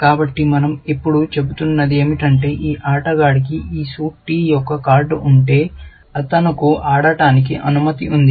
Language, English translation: Telugu, So, all we are saying now is that if this player has a card of this suit t, then he is allowed to play